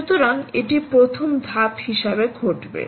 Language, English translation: Bengali, so this is what would happen as a first step